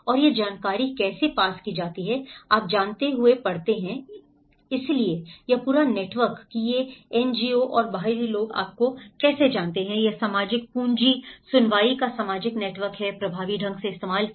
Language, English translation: Hindi, And how the information is passed on, reading you know, so this whole networks how these NGOs and outsiders you know how, this social capital is social network of hearing is effectively used